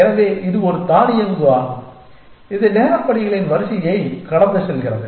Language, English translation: Tamil, So, it is an automate which goes through a sequence of time steps